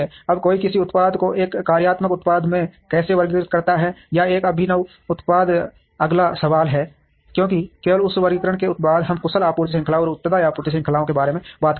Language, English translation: Hindi, Now, how does one classify a product into a functional product or an innovative product is the next question, because only after that classification we talk about efficient supply chains and responsive supply chains